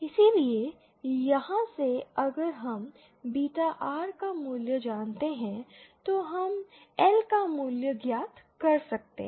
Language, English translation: Hindi, So from here if we know the value of beta R, then we can find out the value of L